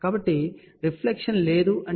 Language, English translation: Telugu, So, no reflection means S 11 is equal to 0